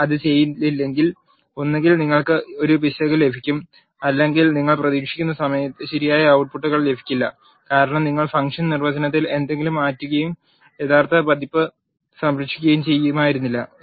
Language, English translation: Malayalam, If you do not do that either you get an error or you will not get correct outputs which you are expecting, because you would have changed something in the function definition and not saved the original version